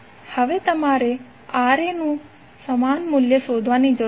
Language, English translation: Gujarati, Now, you need to find the equivalent value of Ra